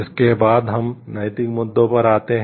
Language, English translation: Hindi, Next we come to moral issues